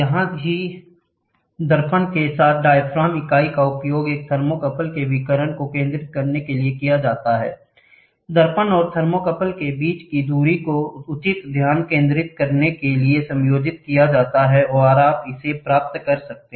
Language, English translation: Hindi, Here, the diaphragm unit along with the mirror is used to focus the radiation of a thermocouple that distance between the mirror and the thermocouple is adjusted for proper focusing and you get it